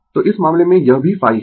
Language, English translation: Hindi, So, in this case it is also phi